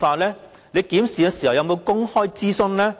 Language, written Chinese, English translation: Cantonese, 其間有否進行公開諮詢？, Has any public consultations been conducted during the period?